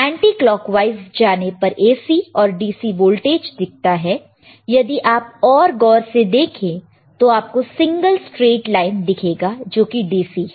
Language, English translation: Hindi, If I go to anti clockwise, I see voltage AC and DC you see if you still focus further if you can the single line straight line is DC, right